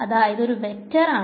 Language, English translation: Malayalam, So, what is this vector field